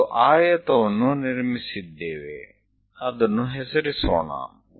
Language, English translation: Kannada, So, we have constructed a rectangle, let us name it